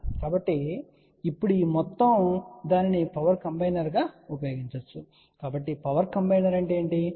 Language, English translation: Telugu, So, now this whole thing can be used as a power combiner ok , so what is a power combiner